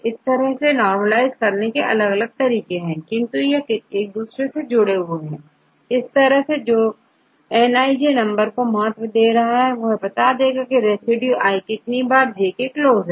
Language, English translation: Hindi, So, there are different ways to normalize, but they are related to each other right, but eventually the one which gives the importance is Nij number of times the residue i which is come close to j